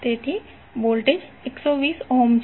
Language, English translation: Gujarati, So Voltage is 120 volt